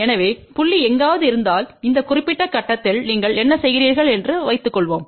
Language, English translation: Tamil, So, suppose if the point is somewhere here that at this particular point, what you do